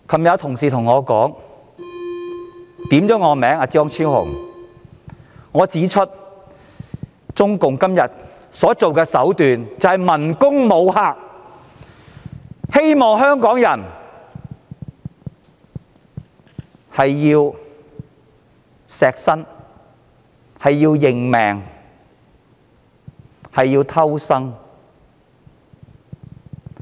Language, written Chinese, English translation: Cantonese, 昨天張超雄議員發言時引述我提到，中共今天所用的手段是文攻武嚇，令香港人為明哲保身而應命偷生。, In his speech yesterday Dr Fernando CHEUNG cited me as saying that CPC has currently employed the tactic of verbal attack and violent threat . In order to avoid trouble and protect themselves Hong Kong people have come to terms with their fate and keep their noses clean